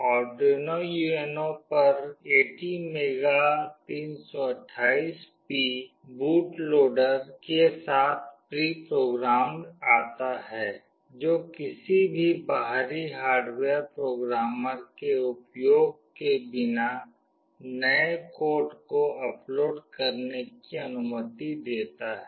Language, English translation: Hindi, The ATmega328P on the Arduino UNO comes pre programmed with a boot loader that allows to upload new code to it without the use of any external hardware programmer